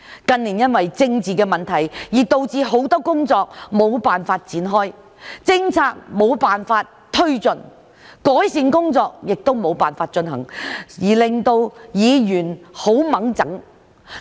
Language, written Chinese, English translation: Cantonese, 近年因為政治的問題，導致很多工作無法展開，政策無法推進，改善工作也無法進行，令到議員很煩躁。, In recent years Members were annoyed that many works could not be taken forward many policies could not be implemented and many improvement projects could not be carried out due to political problems